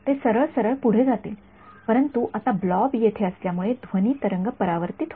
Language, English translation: Marathi, It would just go straight through and through, but now because this blob is here sound wave gets reflected back right